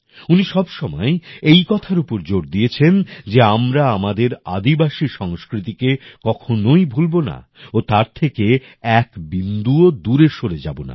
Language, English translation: Bengali, He had always emphasized that we should not forget our tribal culture, we should not go far from it at all